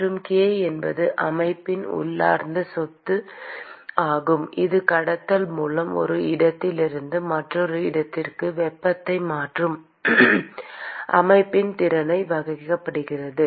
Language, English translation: Tamil, And k is the intrinsic property of the system which characterizes the ability of the system to transfer heat from one location to the other via conduction